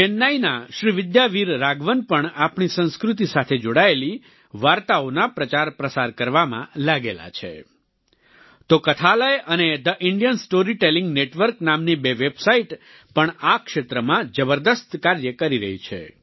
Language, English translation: Gujarati, Srividya Veer Raghavan of Chennai is also engaged in popularizing and disseminating stories related to our culture, while two websites named, Kathalaya and The Indian Story Telling Network, are also doing commendable work in this field